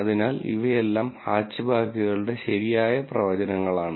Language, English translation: Malayalam, So, these are all right predictions of Hatchbacks